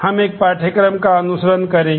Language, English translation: Hindi, We will follow a textbook